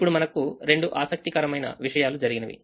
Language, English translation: Telugu, now two interesting things happen